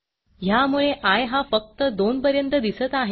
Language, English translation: Marathi, Note that i is displayed only up to 2